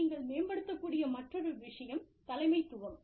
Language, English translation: Tamil, Leadership is another thing, that you can enhance